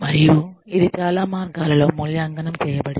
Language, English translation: Telugu, And, it has been evaluated, in various ways